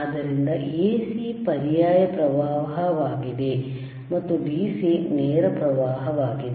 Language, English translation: Kannada, So, AC is alternating current and DC is direct current